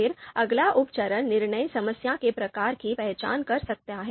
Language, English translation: Hindi, Then the next sub step could be identifying the type of decision problem